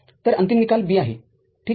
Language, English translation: Marathi, So, so ultimately the result is B ok